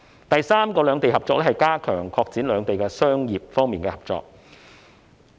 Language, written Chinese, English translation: Cantonese, 第三個有關兩地合作的舉措，是加強擴展兩地在商業方面的合作。, The third initiative about the cooperation between the two places concerns further expansion of our business cooperation